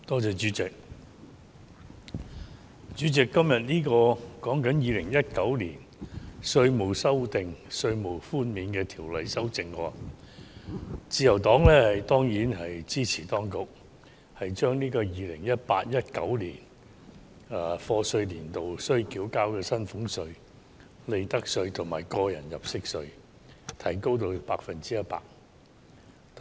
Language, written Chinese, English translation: Cantonese, 主席，今天討論的是《2019年稅務條例草案》，自由黨當然支持當局將 2018-2019 課稅年度須繳交的薪俸稅、利得稅及個人入息課稅的寬免百分比提升至 100%。, Chairman today we are discussing the Inland Revenue Amendment Bill 2019 the Bill . The Liberal Party of course supports the Administrations proposal of raising the one - off reductions of salaries tax tax under personal assessment and profits tax for year of assessment 2018 - 2019 to 100 %